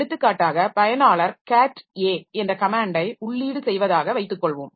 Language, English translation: Tamil, For example, if the user enters the command say cat A